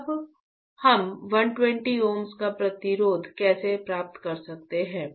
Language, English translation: Hindi, Now, how can we get 120 ohms of resistance right